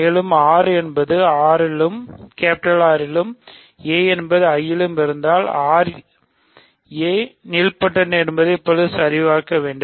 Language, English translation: Tamil, So, and also, we need to check now that if r is R and a is in I that means, a is nilpotent